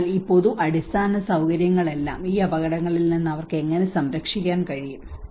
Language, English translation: Malayalam, So all this public infrastructure, how they are able to protect against these hazards